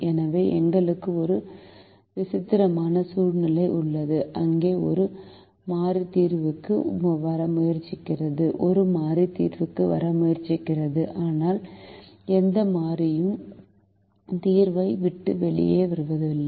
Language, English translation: Tamil, so we have a peculiar situation where a variable is trying to come into the solution, a variable is trying to come into the solution, but no variable is leaving the solution